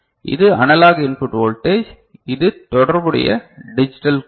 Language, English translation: Tamil, So, this is the analog input voltage, and this is the corresponding digital code ok